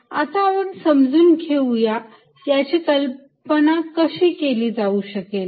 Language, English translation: Marathi, let us understand how we can visualize this